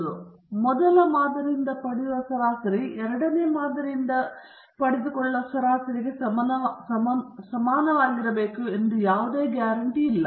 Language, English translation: Kannada, And There is no guarantee that the mean you get from the first sample should be identical to the mean you take from the second sample okay